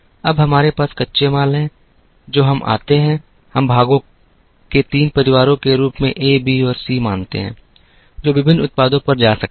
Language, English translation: Hindi, Now, we have raw materials that come in, we assume A, B and C as three families of parts, which can go to different products